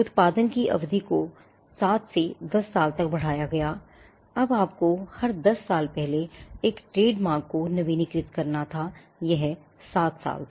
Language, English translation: Hindi, The period of production was enhanced from 7 to 10 years, now you had to renew a trademark every 10 years earlier it was 7 years